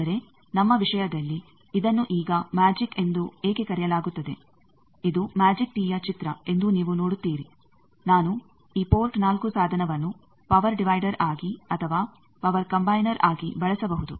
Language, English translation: Kannada, But in our case why it is called now magic, you see this is the picture of a magic tee that I can use this port 4 device either as a power divider or as a power combiner